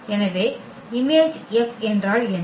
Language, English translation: Tamil, So, what is the image F